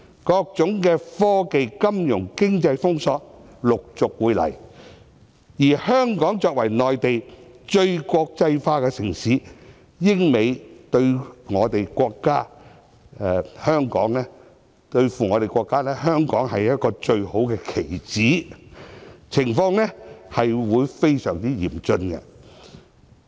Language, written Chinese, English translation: Cantonese, 各種科技、金融、經濟封鎖，陸續會來，而香港作為內地最國際化的城市，英美對付中國，香港便是一個最好的棋子，情況將會非常嚴峻。, Technological financial and economic blockades will be imposed one after another . Since Hong Kong is the most international city on the Mainland it will be the best pawn to be used by Britain and the United States against China . Thus the situation will be very challenging